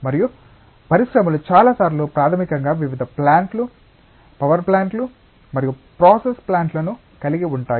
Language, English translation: Telugu, And industries many times are basically comprising various plants, power plants and process plants